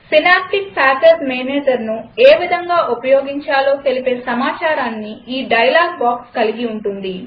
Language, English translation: Telugu, This dialogue box has information on how to use synaptic package manager